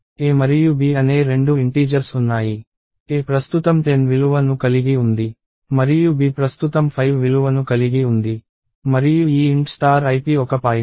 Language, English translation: Telugu, So, there are two integers, a and b, a currently holds the value 10 and b currently holds the value 5 and this int star ip (*ip) is a pointer